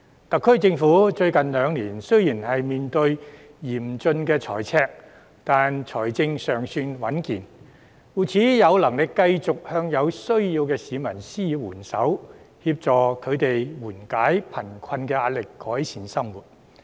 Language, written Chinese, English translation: Cantonese, 特區政府最近兩年雖然面對嚴峻財赤，但財政尚算穩健，故此有能力繼續向有需要的市民施予援手，協助他們緩解貧困壓力，改善生活。, While the SAR Government has faced a severe fiscal deficit over the past two years its financial status have still remained sound and robust so it can continue to lend a helping hand to those in need and assist them in relieving their poverty - induced pressure and improving their livelihood